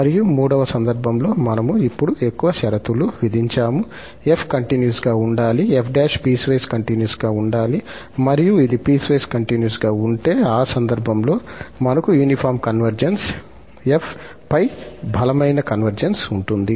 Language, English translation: Telugu, And in the third case, we have imposed more conditions now, that if f is continuous and this f prime is piecewise continuous then, in that case, we have the uniform convergence, the stronger convergence on f